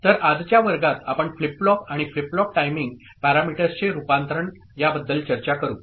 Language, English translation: Marathi, So, in today’s class, we shall discuss Conversion of Flip Flops, and Flip Flop Timing Parameters